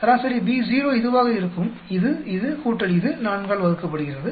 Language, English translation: Tamil, Average B1 will be this, plus this, plus this, plus this, divided by 4